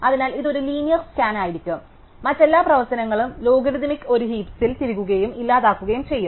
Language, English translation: Malayalam, So, this would be a linear scan, so all other operations insert and delete on a heap for logarithmic